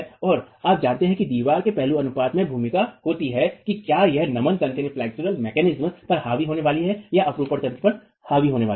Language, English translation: Hindi, And you know that aspect ratio of a wall has a role to play in whether it is going to be dominated by flexual mechanisms or whether it's going to be dominated by shear mechanisms